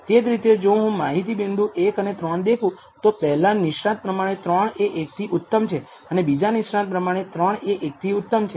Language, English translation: Gujarati, Similarly if I look at the data point 1 and 3 expert 1 says it is better 3 is better than 1, expert 2 also says 3 is better than 1